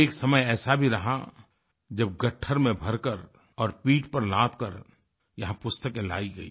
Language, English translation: Hindi, There was a time when the books were brought here stuffed in sacks and carried on the back